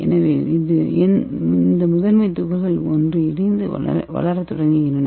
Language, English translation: Tamil, So this primary particles combine and start growing